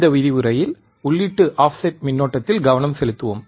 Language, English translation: Tamil, This lecture let us concentrate on input offset current